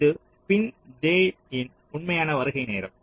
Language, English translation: Tamil, this is the actual arrival time on pin j